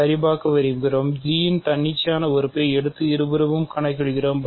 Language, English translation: Tamil, So, let us take an arbitrary element of G and compute both sides